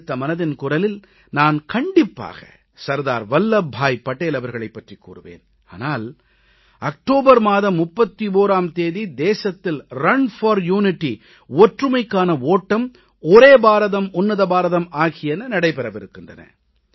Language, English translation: Tamil, In the next Mann Ki Baat, I will surely mention Sardar Vallabh Bhai Patel but on 31st October, Run for Unity Ek Bharat Shreshth Bharat will be organized throughout the country